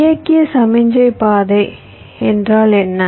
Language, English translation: Tamil, what is a directed signal path